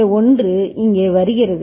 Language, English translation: Tamil, And this 1 is coming over here